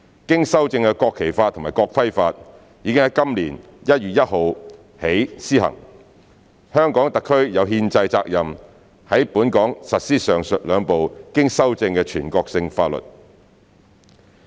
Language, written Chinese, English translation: Cantonese, 經修正的《國旗法》及《國徽法》已於今年1月1日起施行，香港特區有憲制責任在本港實施上述兩部經修正的全國性法律。, Since the amended National Flag Law and the National Emblem Law have come into force from 1 January this year the Hong Kong Special Administrative Region HKSAR Government has the constitutional responsibility to implement the two amended national laws locally